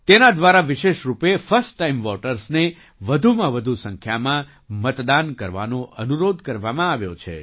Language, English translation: Gujarati, Through this, first time voters have been especially requested to vote in maximum numbers